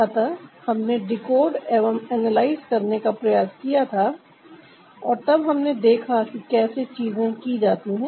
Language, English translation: Hindi, so, ah, we, we tried to decode, analyze and then see how things are done